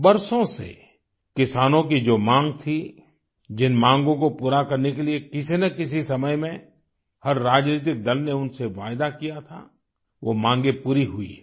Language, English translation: Hindi, The demands that have been made by farmers for years, that every political party, at some point or the other made the promise to fulfill, those demands have been met